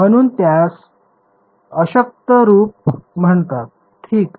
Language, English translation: Marathi, So, it is called the weak form that is all